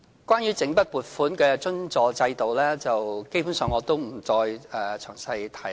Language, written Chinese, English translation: Cantonese, 關於整筆撥款的津助制度，我也不詳細提了。, As regards the lump sum grant subvention scheme I will not go into the details here